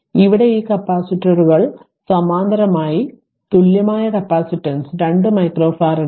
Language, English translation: Malayalam, So, this capacitors are in parallel we have an equivalent capacitance is 2 micro farad